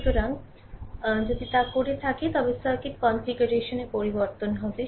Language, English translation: Bengali, So, if you do so, then circuit your what you call configuration will change